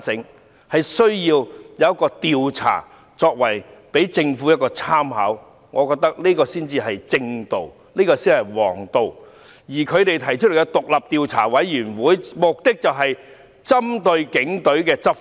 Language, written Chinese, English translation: Cantonese, 我覺得有需要進行調查供政府參考，這才是正道和王道，而反對派提出成立專責委員會的目的，是針對警隊執法。, I think there is a need to conduct an inquiry so that the Government can draw reference from it . That is the right and just approach . On the contrary opposition Members have proposed to set up a select committee for the purpose of targeting the Police